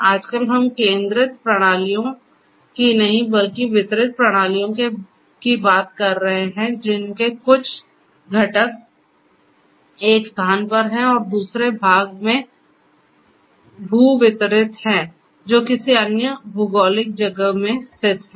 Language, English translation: Hindi, Nowadays we are talking about not centralized systems, but distributed systems which have certain parts or components in one location and other parts are geo distributed located in another geographic location